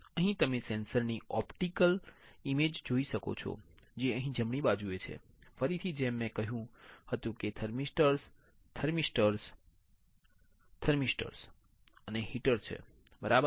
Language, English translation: Gujarati, Here you can see then optical image of the sensor which is right over here right; again, like I said thermistors, thermistors, thermistors and heater all right, this is your interdigitated electrodes